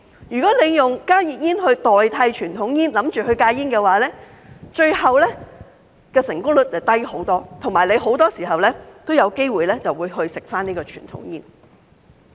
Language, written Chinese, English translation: Cantonese, 如果打算利用加熱煙代替傳統煙來戒煙，最後的成功率會大大降低，而且很多時候也有機會再次吸食傳統煙。, But if a person intends to quit smoking by substituting conventional cigarettes with HTPs the success rate will be much lower and it is very likely that the person will smoke conventional cigarettes again